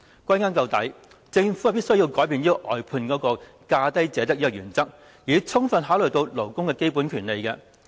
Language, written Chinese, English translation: Cantonese, 歸根究底，政府必須改變外判"價低者得"的原則，充分考慮勞工的基本權利。, Ultimately the Government must change its lowest bid wins principle in outsourcing and fully consider the fundamental rights of the labour